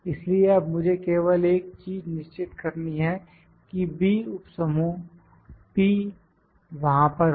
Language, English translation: Hindi, So, only thing is that I need to make sure that this B remains P subgroup is there